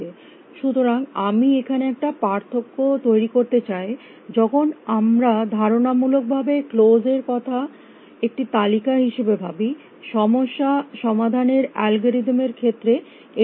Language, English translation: Bengali, So, there is a i want to make a distinction between when conceptually we think of close as a list its fine as per as the problem solving algorithm that we are considering